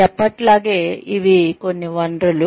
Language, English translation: Telugu, As always, these are some of the resources